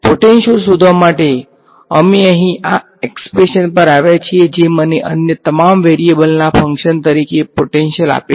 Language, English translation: Gujarati, In order to find the potential, we have come to this expression over here which gives me the potential as a function of all the other variables